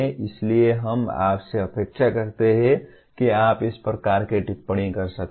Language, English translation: Hindi, So we expect you to kind of comment on the appropriateness